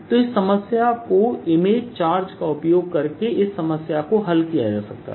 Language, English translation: Hindi, so one could also solved this problem using the image charge plot